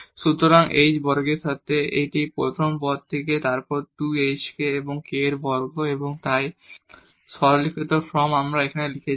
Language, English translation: Bengali, So, with h square this is from this first term then 2 hk and k square and so on and again the simplified form we have written this